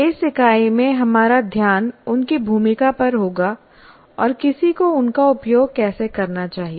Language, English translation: Hindi, Our focus in this unit will be looking at their role and how exactly one should make use of this